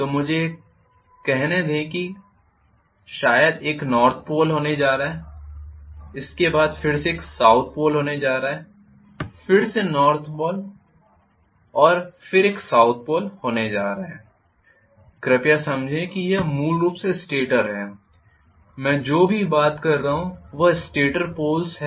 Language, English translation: Hindi, So let me say may be I am going to have a North Pole like this after that I am going to have a South Pole again I am going to have North Pole and I am going to have a South Pole please understand this is essentially stator, whatever I am talking about is stator Poles